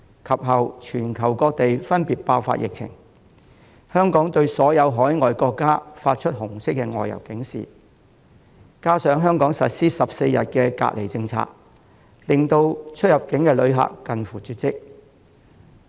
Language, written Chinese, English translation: Cantonese, 其後全球各地分別爆發疫情，香港對所有海外國家發出紅色外遊警示，加上香港實施14天隔離政策，令出入境旅客近乎絕跡。, With the issuance of the Red Outbound Travel Alert on all overseas countries and the implementation of the 14 - day quarantine policy by Hong Kong following the subsequent outbreaks in different places around the world both inbound and outbound visitors can hardly be seen